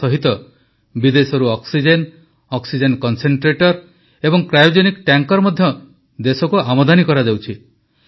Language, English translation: Odia, Along with that, oxygen, oxygen concentrators and cryogenic tankers from abroad also are being brought into the country